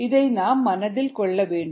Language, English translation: Tamil, you need to keep this in mind